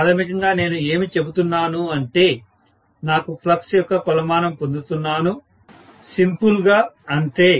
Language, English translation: Telugu, I am basically saying that I am getting a measure of flux, as simple as that, that is all